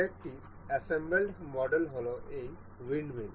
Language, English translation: Bengali, Another assembled model is the this windmill